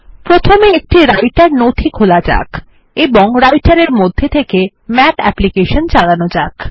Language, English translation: Bengali, Let first open a Writer document and then call the Math application inside Writer